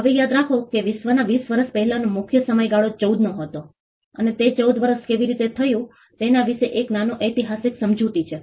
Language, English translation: Gujarati, Now, mind you the predominant time period before this 20 year across the globe used to be 14 and there is a small explanation historical explanation as to how it came to be 14 years